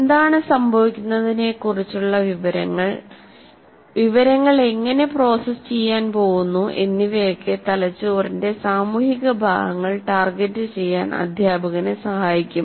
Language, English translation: Malayalam, So, an understanding of what is happening, how the information is going to get processed, will help the teacher to target social parts of the brain